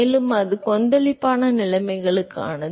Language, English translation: Tamil, And similarly, that is for the turbulent conditions